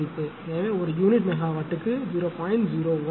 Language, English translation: Tamil, 01 per unit megawatt, right